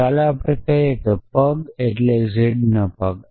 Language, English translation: Gujarati, So, let us say feet was stands for z's feet